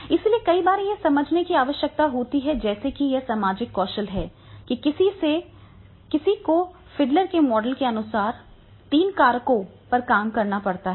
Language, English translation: Hindi, So, many times it is required that is to understand like here in the social skills that is the one has to work on the three factors according to Fiddler's model